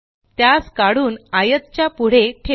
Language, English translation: Marathi, Let us draw it and place it next to the rectangle